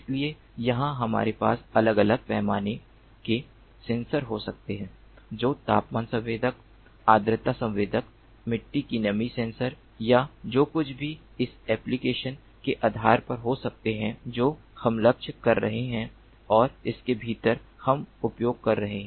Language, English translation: Hindi, so let us say that we have some terrain of interest, so here we can have these different scale sensors all over, which can be something like temperature sensor, humidity sensor, soil moisture sensor or whatever, depending on the application that we are targeting and within this we would be using